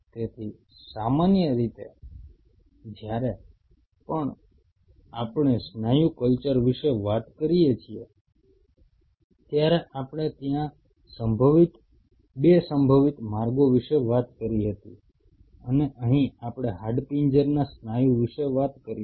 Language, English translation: Gujarati, So, generally whenever we talk about muscle culture, we talked about there are 2 possible ways and here we will talk about say skeletal muscle